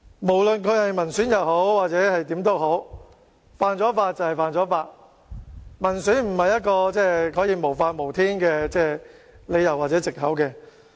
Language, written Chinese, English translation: Cantonese, 無論有關議員是否民選議員，犯法便是犯法，民選不是一個可以無法無天的理由或藉口。, No matter whether the Member concerned was elected by the people or not an offence remains an offence . That one is elected by the people cannot constitute a reason or excuse for total disregard for the law